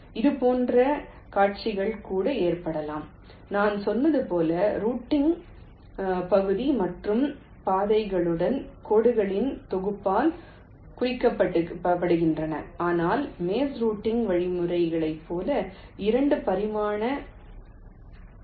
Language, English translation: Tamil, such scenarios can also occur and, as i had said, the routing area and also paths are represented by the set of lines and not as a two dimensional matrix as in the maze routing algorithms